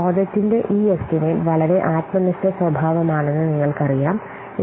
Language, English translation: Malayalam, You know that this estimation of the project is highly subjective nature